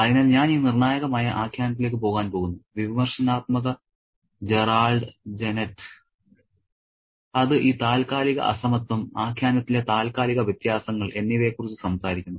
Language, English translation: Malayalam, So, I'm going to go back to this critic narrative, critic called Gerard Jeanette, to talk about this temporal disparity, temporal differences in narrative